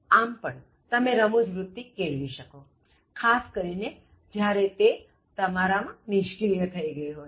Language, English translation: Gujarati, So that also helps you develop your humour, especially if it has become dormant in you